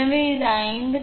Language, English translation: Tamil, So, it is 53